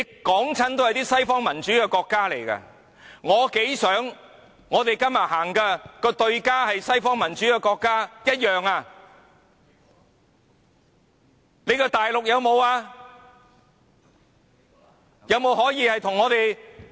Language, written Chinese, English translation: Cantonese, 舉出來的都是西方民主國家，我多麼希望我們今天的對象是西方民主國家，但大陸有沒有民主？, All the countries they cite are Western democratic countries . How much I hope that the target we discuss today is a Western democratic country . Does China have democracy?